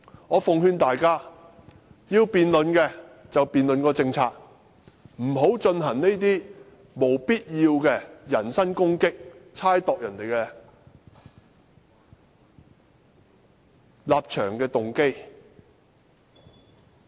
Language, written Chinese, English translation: Cantonese, 我奉勸大家，要辯論便辯論政策，不要進行這些沒有必要的人身攻擊，猜度別人的立場和動機。, Let me give them some advice . If they want to debate they had better restrict their debate on the policy . They should not make these unnecessary personal attacks or speculate on other peoples stance or intention